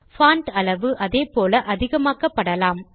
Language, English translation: Tamil, The Font Size can be increased in the same way